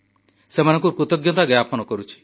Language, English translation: Odia, I also express my gratitude